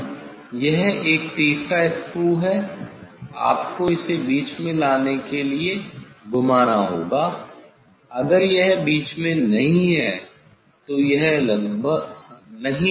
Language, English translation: Hindi, now, this one the third screw, you have to rotate to bring it in middle if it is not in middle it is more or less in middle I do not want to